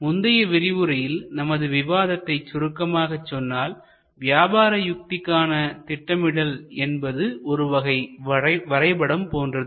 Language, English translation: Tamil, To summarize what we discussed in the previous session, a strategic plan is a sort of a map